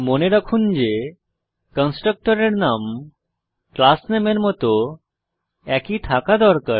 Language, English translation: Bengali, Remember the Constructor has the same name as the class name to which it belongs